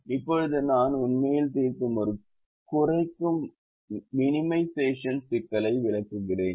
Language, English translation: Tamil, ah, a minimization problem that we have actually solved